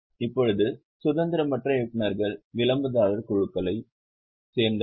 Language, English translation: Tamil, Now non independent directors belong to the promoter groups